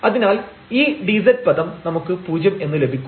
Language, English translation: Malayalam, And now this is the dz term which we call differential